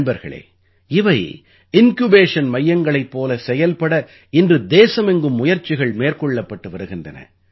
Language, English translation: Tamil, Friends, today an attempt is being made in the country to ensure that these projects work as Incubation centers